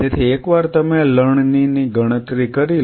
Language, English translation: Gujarati, So, once you have quantified the harvest